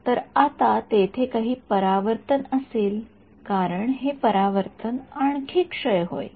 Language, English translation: Marathi, So, there will be some reflection now as this some reflection this will further decay